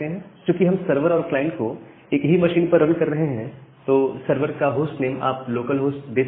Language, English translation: Hindi, And we are running the server in the same machine, so the host name of the server you can give it as local host